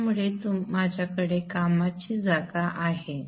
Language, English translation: Marathi, So I have the workspace